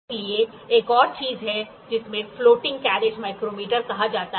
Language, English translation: Hindi, So, there is another thing which is called as floating carriage micrometer